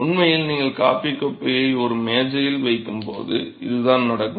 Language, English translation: Tamil, In fact, this is what happens when you leave the coffee cup idle on a table